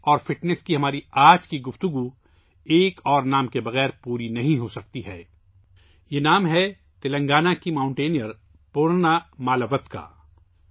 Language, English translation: Urdu, Today's discussion of sports and fitness cannot be complete without another name this is the name of Telangana's mountaineer Poorna Malavath